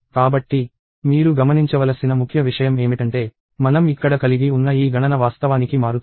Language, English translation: Telugu, So, the key thing that you have to notice is that, this count that we have here is actually changing